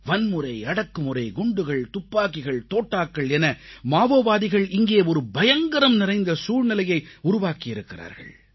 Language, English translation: Tamil, Violence, torture, explosives, guns, pistols… the Maoists have created a scary reign of terror